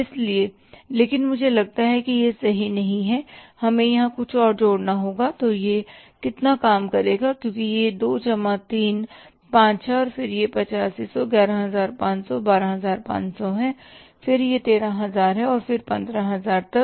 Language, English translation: Hindi, So how much it works out as it is 2 plus 3 plus 3 5 then it is 8,500, 1,500, 11,000, 12,000, then it is 13,000 and then to 15,000